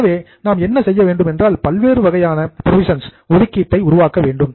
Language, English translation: Tamil, So, what we do is we create different types of provisions